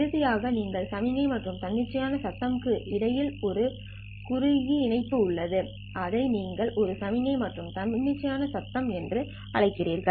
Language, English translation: Tamil, Finally, you have a cross coupling between signal and spontaneous noise, which you call it as a signal and spontaneous noise